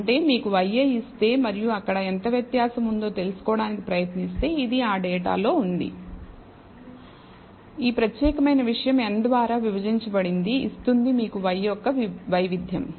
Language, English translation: Telugu, That is if you are given just y i and trying to find out how much variance there it is there in the data this particular thing divided by n of course, gives you the variance of y